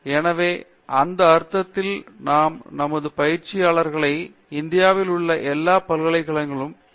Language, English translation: Tamil, So, in that sense we keep our interns in such way that it is come on to all almost all the universities in India, which are doing in the B